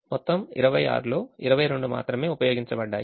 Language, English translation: Telugu, only twenty two out of the twenty six is utilized